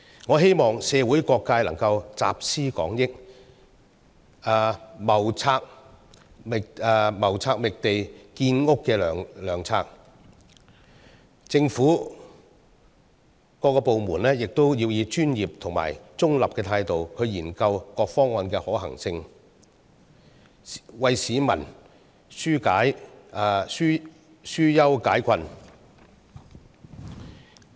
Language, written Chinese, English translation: Cantonese, 我希望社會各界能夠集思廣益，謀劃覓地建屋的良策；政府各個部門也應以專業和中立態度研究各方案的可行性，為市民紓憂解困。, I hope that all sectors of the community can pool their collective wisdom to devise good strategies to identify land for housing development . Government departments should also study the feasibility of various proposals with professionalism and neutrality to mitigate the publics concerns and hardships